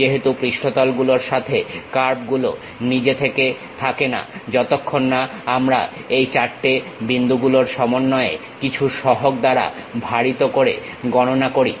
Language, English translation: Bengali, As with the surfaces, the curve itself does not exist, until we compute combining these 4 points weighted by some coefficients